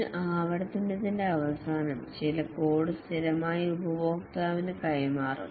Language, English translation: Malayalam, At the end of a iteration, some code is delivered to the customer invariably